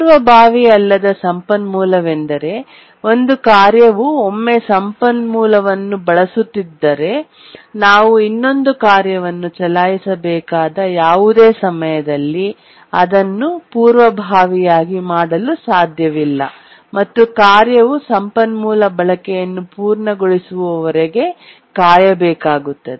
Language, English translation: Kannada, A non preemptible resource is one where once a task is using the resource, we cannot preempt it any time that we need to another task to run, need to wait until the task completes use of the resource